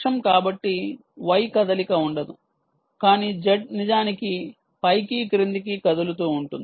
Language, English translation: Telugu, so y, there wont be much of a movement, but z, indeed, will keep moving up and down